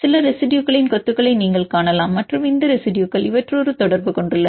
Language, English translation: Tamil, You can see some cluster of residues and these residues are having a contact with among these two groups